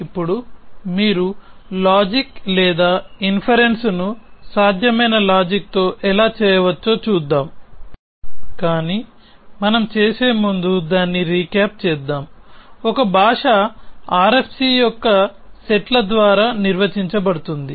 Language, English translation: Telugu, Now, let us look at how you can do reasoning or inferences with possible logic, but before we do that let us just recap that, a language is defined by the sets of RFC